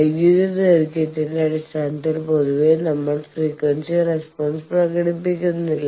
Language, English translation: Malayalam, Only thing is generally we do not express the frequency response in terms of electrical length